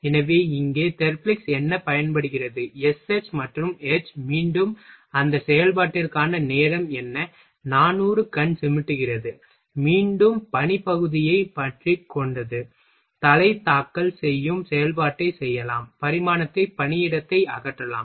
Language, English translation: Tamil, So, what is the Therblig’s is used SH and H here, again what is the what was the time for that operation 400 wink, again clamping work piece in vice we can do the head filing operation check the dimension remove the workplace